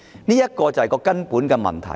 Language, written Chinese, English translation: Cantonese, 這便是根本的問題。, This is the crux of the problem